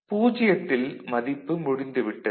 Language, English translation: Tamil, So, at 0 we see the value is over here